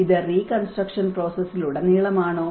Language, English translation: Malayalam, Is it throughout the reconstruction process